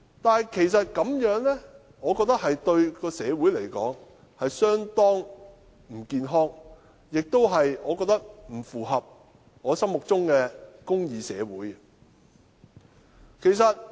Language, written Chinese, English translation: Cantonese, 但我認為這樣對社會而言其實相當不健康，亦不符合我心目中的公義社會。, But I actually do not consider it a healthy sign to our society and it has also fallen short of the kind of social justice that I have in mind